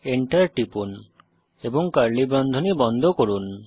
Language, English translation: Bengali, Enter and close curly bracket